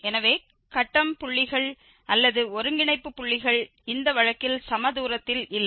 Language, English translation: Tamil, So, the grid points or the nodal points are not just equidistant in this case